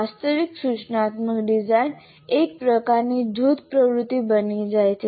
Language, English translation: Gujarati, Now what happens, the actual instruction design becomes a kind of a group activity